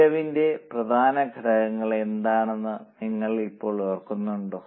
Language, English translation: Malayalam, So, do you remember now what are the important elements of cost